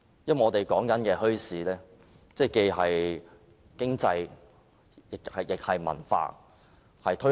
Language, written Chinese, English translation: Cantonese, 因為我們說的墟市，既是經濟，亦是文化。, Bazaars that we are referring to are economic activities which represent a culture